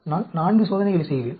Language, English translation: Tamil, I will be doing 4 experiments